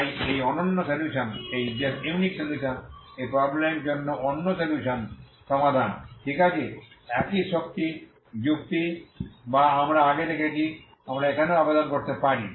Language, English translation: Bengali, So this is the unique solution this is the unique solution solution for the problem, okay same energy argument that we have seen earlier we can also apply here